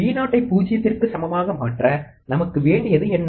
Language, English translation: Tamil, What is it that we need to make Vo equal to 0